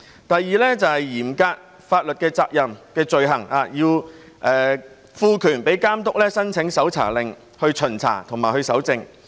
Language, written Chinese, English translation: Cantonese, 第二，是嚴格法律責任的罪行，要賦權予監督申請搜查令，以巡查和搜證。, Second the Bill introduces a strict liability offence by empowering the Authority to apply for a search warrant to allow enforcement officers to inspect or collect evidence